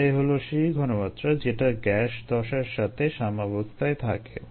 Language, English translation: Bengali, this is the concentration that is in equilibrium with the gas phase